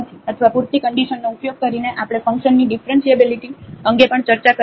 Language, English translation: Gujarati, Or using the sufficient conditions also we can discuss the differentiability of a function